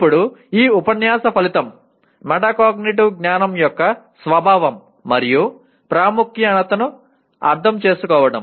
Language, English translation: Telugu, Now this unit the outcome is understand the nature and importance of metacognitive knowledge